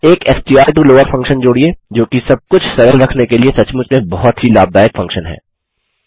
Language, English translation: Hindi, Add a str to lower function, which is a really useful thing to keep everything simple